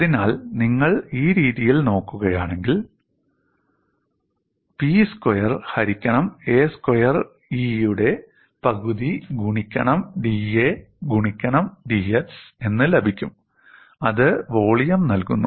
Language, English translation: Malayalam, So, if you look at in this fashion, you get this as one half of P squared by A squared E into d A into d x, that gives the volume, and this we usually do it for the slender member